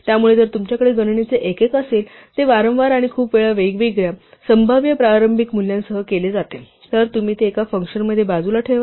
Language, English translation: Marathi, So if you have a unit of computation which is done repeatedly and very often done with different possible starting values then you should push it aside into a function